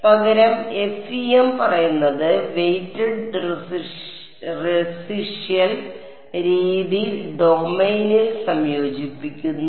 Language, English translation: Malayalam, So, instead FEM says weighted residual method integrate over domain